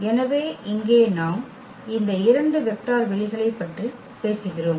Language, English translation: Tamil, So, here we talk about these 2 vector spaces